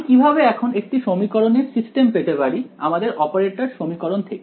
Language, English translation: Bengali, Now, how do we get a system of equations from my operator equation